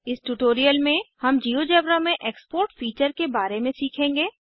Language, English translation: Hindi, In this tutorial, we will learn about the Export feature in GeoGebra